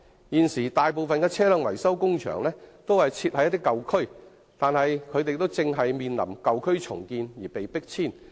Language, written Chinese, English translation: Cantonese, 現時，大部分的車輛維修工場均設於舊區，但它們亦正因舊區重建而面臨迫遷。, Currently most of the vehicle maintenance workshops are located in old districts but they will soon be forced to move out because of redevelopment